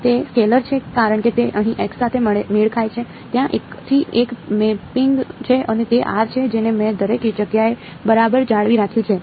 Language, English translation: Gujarati, It is a scalar because it matches with the x over here right, there is a one to one mapping and that is the r that I maintained everywhere right